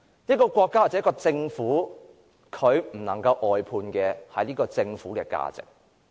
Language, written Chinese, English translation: Cantonese, 一個國家或政府絕不能外判政府的價值。, Under no circumstances can a government or country outsource its values